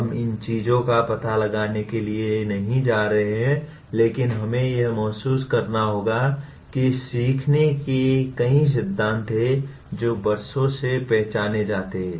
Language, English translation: Hindi, We are not going to explore these things but all that we need to realize is there are several principles of learning that have been identified over the years